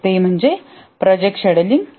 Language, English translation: Marathi, So that is project scheduling